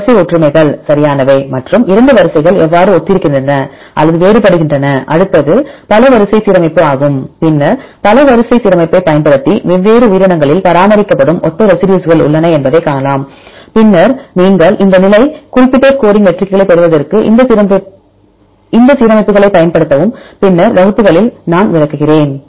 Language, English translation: Tamil, what about the sequence similarities right and how the 2 sequences are similar or different from each other the next is the multiple sequence alignment then using the multiple sequence alignment you can see the position where we have the similar residues maintained in different organisms and then you can also use these alignments for deriving these position specific scoring matrices that I will explain in later classes